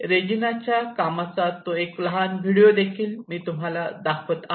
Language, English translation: Marathi, A small film of Reginaís work will be again shown here